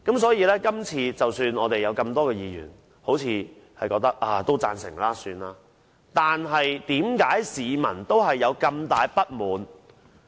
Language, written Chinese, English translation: Cantonese, 所以，即使有多位議員也似乎表示贊成，但為何市民仍大感不滿？, Hence how come the people are still terribly discontented with the Budget after a number of Members indicate their support of it?